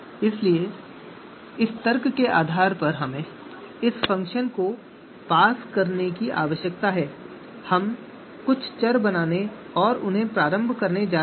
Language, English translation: Hindi, So so depending on the requirement, depending on the argument that we need to pass on to this function, we are going to create certain variables and initialize them